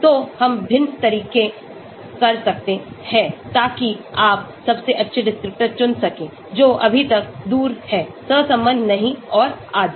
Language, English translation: Hindi, So we can do different approaches so that you select the best descriptors, which are far apart, not correlated and so on